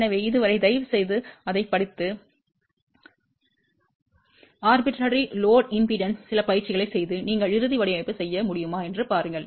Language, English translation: Tamil, So, till then please read it and do some practice with arbitrary load impedance and see if you can do the final design